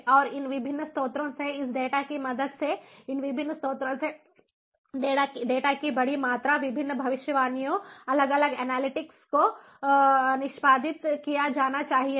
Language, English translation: Hindi, can make more sense and with the help of this data from these different sources, the large volumes of data from this different sources, different predictions, different analytics should be, should be executed